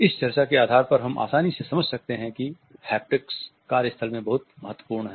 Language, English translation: Hindi, On the basis of this discussion we can easily make out the haptics is pretty significant in the workplace